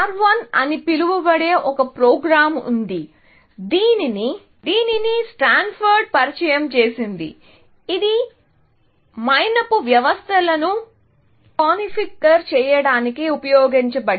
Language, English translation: Telugu, There was a program called R 1, which was also at Stanford I think, which was used to configure wax systems